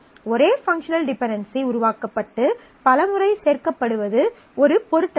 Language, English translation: Tamil, It is possible that the same functional dependency gets generated and added multiple times does not matter